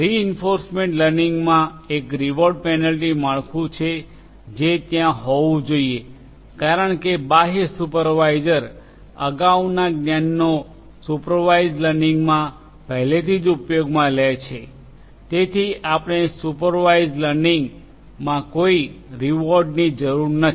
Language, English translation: Gujarati, In reinforcement learning there is a reward penalty structure that has to be in place whereas, because the external supervisor with previous knowledge is already used in supervised learning you do not need a reward function in supervised